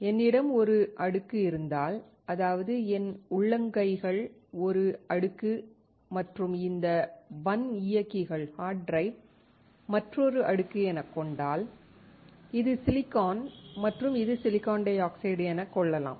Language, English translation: Tamil, If I have a layer; my palm is one layer and this hard drive is another layer and this is silicon and this is silicon dioxide